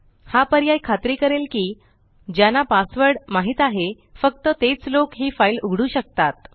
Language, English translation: Marathi, This option ensures that only people who know the password can open this file